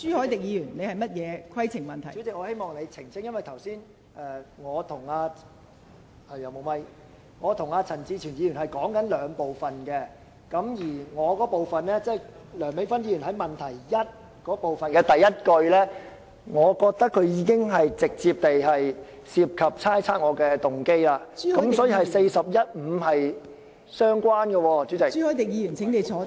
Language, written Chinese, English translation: Cantonese, 代理主席，我希望你澄清一下，因為剛才我和陳志全議員討論的是兩部分，我那部分是有關梁美芬議員在質詢第一部分的第一句，我覺得這已涉及直接猜測我的動機，所以，這與《議事規則》第415條是相關的。, Deputy President I hope that you can give a brief clarification as Mr CHAN Chi - chuen and I are referring to two different parts of the question in our discussions . My discussion is related to the first sentence of part 1 of Dr Priscilla LEUNGs question . In my opinion this directly involves imputing a motive to me which is thus related to Rule 415 of the Rules of Procedure